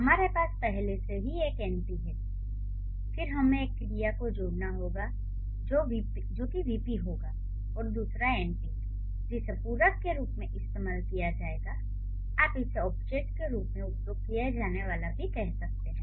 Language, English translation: Hindi, So, we already have one np then we need to add one verb which will be the part of the VP and another np which would use as a as a complement or you can call it which would be used as an object